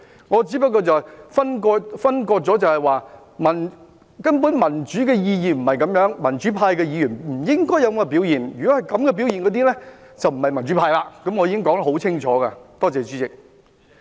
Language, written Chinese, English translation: Cantonese, 我只是作出區分，根本民主的意義不是這樣，民主派的議員不應有這樣的表現；如有這種表現的，便不是民主派，我已經說得很清楚，多謝主席。, I have just made the distinction that the significance of democracy is nothing like that at all and Members of the democratic camp should not behave in this way . Anyone coming across this way is not a democrat . I have already made myself very clear